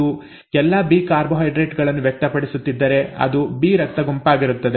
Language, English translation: Kannada, If it is all B carbohydrates being expressed, it is blood group B